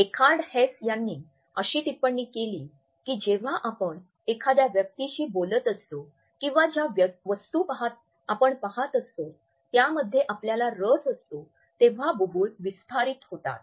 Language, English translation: Marathi, Eckhard Hess commented that pupil dilates when we are interested in the person we are talking to or the object we are looking at